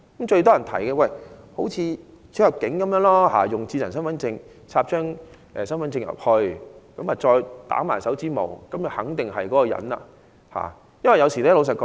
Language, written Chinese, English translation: Cantonese, 最多人提議仿效出入境時的做法，將智能身份證插入讀卡機內及印手指模，以確認一個人的身份。, The proposal supported by most people was to adopt the practice of immigration clearance that is to verify ones identity by inserting an identity card into a card reader followed by fingerprint checking